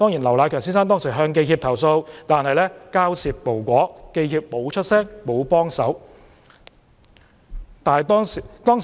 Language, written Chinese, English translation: Cantonese, 劉迺強先生當時向香港記者協會投訴，但交涉無果，記協沒有發聲，沒有幫忙。, Mr LAU Nai - keung then lodged a complaint to the Hong Kong Journalists Association HKJA but to no avail . HKJA made no voice and failed to lend a helping hand